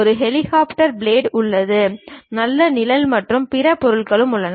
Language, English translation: Tamil, There is a helicopter blades, there is a nice shade, and other materials